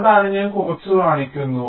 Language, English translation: Malayalam, i am just showing a few